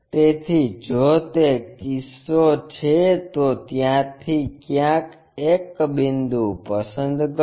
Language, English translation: Gujarati, So, if that is the case pick a point here somewhere from there